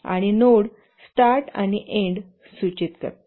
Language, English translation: Marathi, And nodes indicate the beginning and end of activities